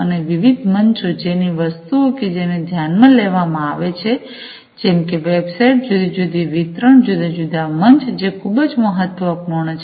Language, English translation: Gujarati, And also things like the different forums that are considered, websites, different other, you know, distribution lists, the different forums, these are very important